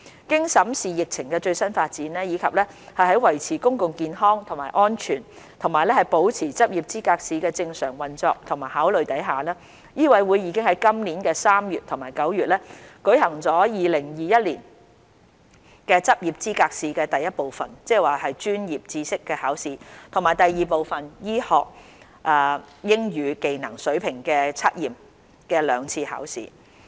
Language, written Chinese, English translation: Cantonese, 經審視疫情的最新發展，以及在維持公共健康和安全及保持執業資格試的正常運作的考慮下，醫委會已在今年3月及9月舉行2021年執業資格試第一部分：專業知識考試及第二部分：醫學英語技能水平測驗的兩次考試。, Having regard to the latest development of the epidemic and given the need to safeguard public health and safety and to maintain the normal operation of LE MCHK held Part I―The Examination in Professional Knowledge and Part II―The Proficiency Test in Medical English of the 2021 LEs in March and September 2021